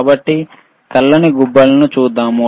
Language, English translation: Telugu, So, let us see the white knobs there are there,